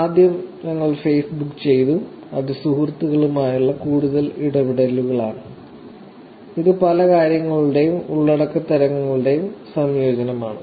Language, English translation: Malayalam, So, first we did Facebook, which is kind of more interactions with friends and it is a combination of many things, type of content